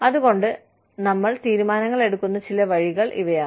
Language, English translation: Malayalam, So, these are some of the ways in which, we make decisions